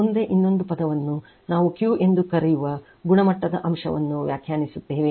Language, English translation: Kannada, Next another term we define the quality factor it is called Q right